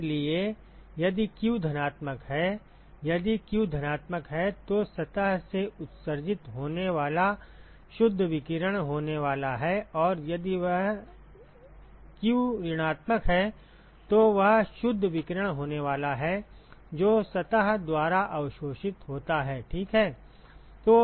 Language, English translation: Hindi, So, if q is positive, if q is positive then there is going to be net radiation that is emitted by the surface, and if this q is negative that is going to be net radiation which is absorbed by the surface ok